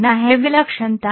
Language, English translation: Hindi, What is singularity